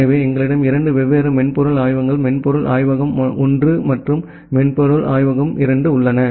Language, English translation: Tamil, So, we have 2 different software labs software lab 1 and software lab 2